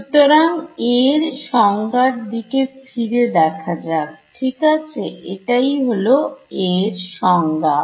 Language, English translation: Bengali, So, let us look back at our definition of A over here right, this is a definition of A